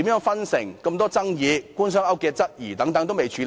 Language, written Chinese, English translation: Cantonese, 加上眾多爭議、對官商勾結的質疑等也有待處理。, Moreover many controversies and doubts about collusion between business and the Government are yet to be handled